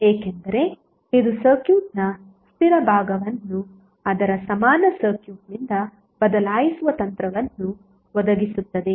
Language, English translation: Kannada, Because it provides a technique by which the fixed part of the circuit is replaced by its equivalent circuit